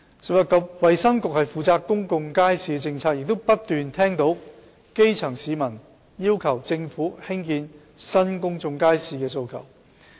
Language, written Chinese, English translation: Cantonese, 食物及衞生局負責公眾街市的政策，亦不斷聽到基層市民要求政府興建新公眾街市的訴求。, The Food and Health Bureau is responsible for policies of public markets . We have heard the constant request from grass roots for the Government to build new public markets